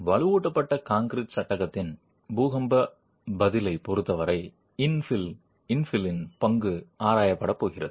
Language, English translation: Tamil, The role of the infill is going to be examined as far as the earthquake response of a reinforced concrete frame is concerned